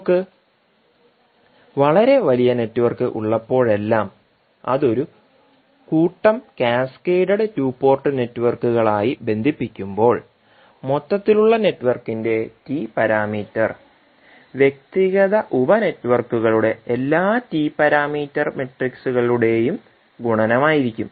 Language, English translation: Malayalam, So whenever we have very large network and it is connected as a set of cascaded two port networks, the T parameter of overall network would be the multiplication of all the T parameters matrices of individual sub networks